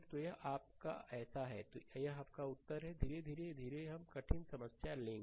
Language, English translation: Hindi, So, this is your ah ah so, this is your answer, right slowly and slowly we will take difficult problem